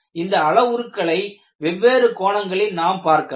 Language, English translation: Tamil, And these parameters can also be looked from different points of view